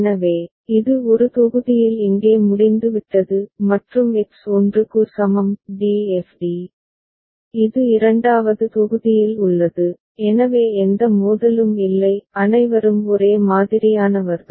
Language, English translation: Tamil, So, it is over here in one block; and X is equal to 1; d f d, it is there in the second block so, no conflict ok; all are alike